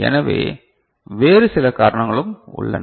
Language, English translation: Tamil, So, there are some other sources